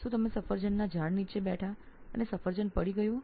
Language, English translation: Gujarati, Do you sit under an apple tree and the apple fell